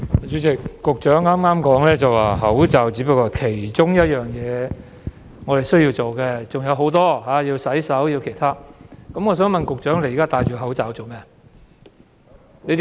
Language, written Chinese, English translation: Cantonese, 主席，局長剛才說，佩戴口罩只是我們需要做的一件事，還有洗手等其他很多事需要做，那麼我想問，局長現在戴着口罩做甚麼？, President the Secretary has said just now that wearing masks is only one of the things that we need to do and there are many other things we need to do such as washing hands . In that case may I ask the Secretary for what reason he is now wearing a mask?